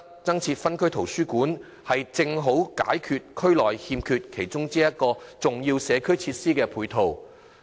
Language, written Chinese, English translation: Cantonese, 增設分區圖書館，正好提供區內欠缺的其中一個重要社會設施配套。, The addition of a new district library will make up for one of the important ancillary community facilities unavailable in the district now